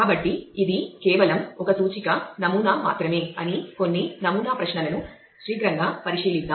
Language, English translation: Telugu, So, let us take a quick look into some of the sample queries this is just a indicative sample